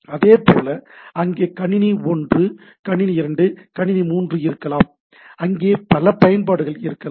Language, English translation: Tamil, Similarly, so, there may be computer 1, computer 2, computer 3 and there are there can be several applications